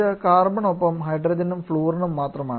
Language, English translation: Malayalam, It is only hydrogen and fluorine along with carbon